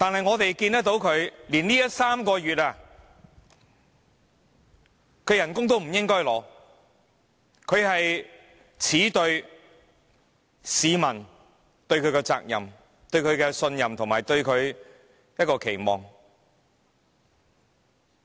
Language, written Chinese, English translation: Cantonese, 我們認為他連這3個月薪酬都不應該領取，他是耻對市民交託給他的責任、對他的信任及期望。, We think he should not even receive the salary of these three months . He should feel ashamed of himself when facing the responsibilities entrusted to him by the public their trust and expectations